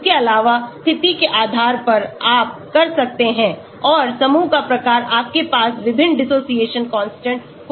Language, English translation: Hindi, Also depending upon the position, you can have and the type of group You can have different dissociation constants